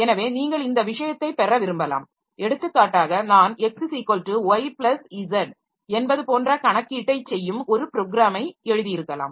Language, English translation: Tamil, So, you may like to have this thing like for example I might have written a program that does all this computation x equal to y plus z etc